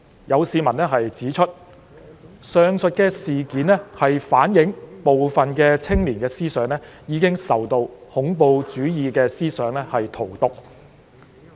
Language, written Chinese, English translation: Cantonese, 有市民指出，上述事件反映部分青年的思想已受恐怖主義思想荼毒。, Some members of the public pointed out that the aforesaid incidents reflected that some young peoples minds have been poisoned by terrorist ideologies